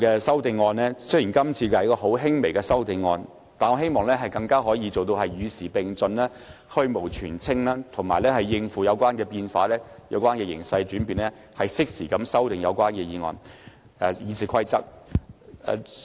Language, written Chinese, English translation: Cantonese, 雖然今次的修訂很輕微，但我希望往後的修訂可以做到與時並進、去蕪存菁，應對有關形勢的轉變，適時修訂《議事規則》。, While the amendments proposed this time are very minor I hope that in future timely amendments can be made to RoP so as to keep abreast of the times rectify the shortcomings and address the changing conditions